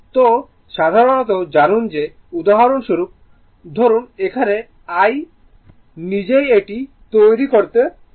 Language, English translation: Bengali, So, generally you know that suppose for example, here, here it itself I making it helps